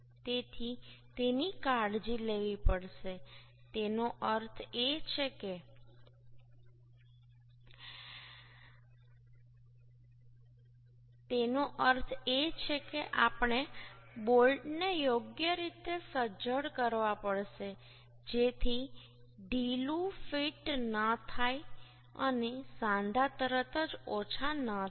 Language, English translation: Gujarati, that means we have to tighten the bolts properly so that the loose fit does not occur and joint does not get reduced instantly